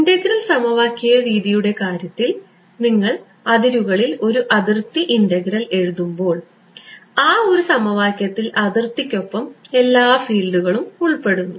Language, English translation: Malayalam, In the case of the integral equation method when you write a contour integral on the boundary, that one equation involves all the fields along the contour